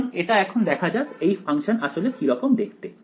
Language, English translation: Bengali, So, let us see what it what this function actually looks like